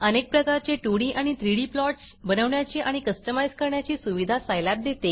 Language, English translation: Marathi, Scilab offers many ways to create and customize various types of 2D and 3D plots